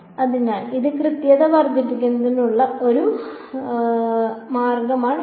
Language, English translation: Malayalam, So, that is one way of increasing the accuracy increase N